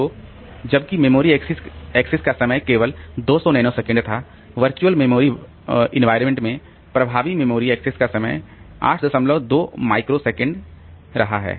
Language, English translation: Hindi, So, while the memory access time was only 200 nanosecond in the in the virtual memory environment, the effective memory access time is becoming 8